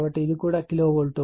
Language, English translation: Telugu, So, it is also kilovolt right